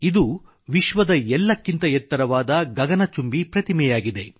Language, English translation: Kannada, This is the world's tallest scyscraping statue